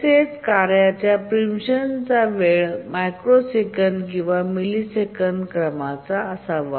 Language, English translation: Marathi, Also the preemption time of tasks should be of the order of microseconds or maybe milliseconds